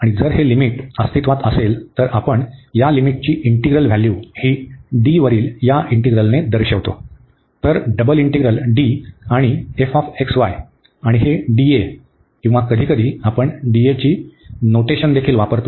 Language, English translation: Marathi, And if this limit exist, then we denote this integral this value of this limit by this integral over D, so the double integral D